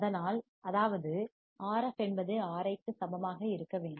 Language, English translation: Tamil, So; that means, that Rf should be equals to Ri